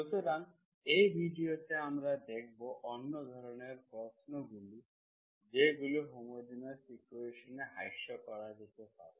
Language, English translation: Bengali, So in this video we will see what are the other kinds of the questions that can be reduced to homogeneous equations